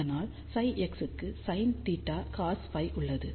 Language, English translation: Tamil, So, that is why psi x has sin theta cos phi